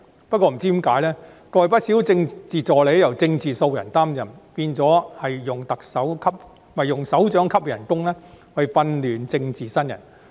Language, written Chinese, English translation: Cantonese, 不過，不知何故，過去不少政治助理由"政治素人"擔任，變成用首長級的工資訓練政治新人。, But somewhat inexplicably many Political Assistant posts were filled by political newbies in the past and this is tantamount to paying political newcomers a directorate - grade salary for the mere sake of training them